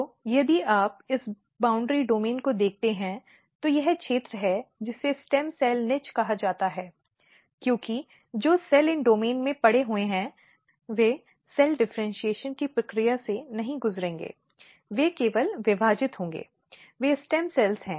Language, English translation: Hindi, So, if you look this boundary domain, this is the region which is called stem cell niche here, because the cells which are lying in these domains they will not undergo the process of cell differentiation, they will only divide, they are the stem cells